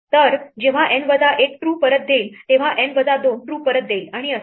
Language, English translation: Marathi, So, when N minus 1 returns true then N minus 2 will return true and so on